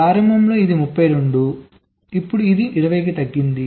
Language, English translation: Telugu, so early it was thirty two, now it has reduced to twenty